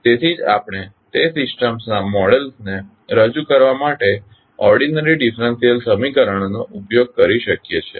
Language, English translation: Gujarati, So, that is why we can use the ordinary differential equations to represent the models of those systems